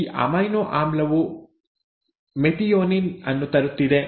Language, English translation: Kannada, The first amino acid is methionine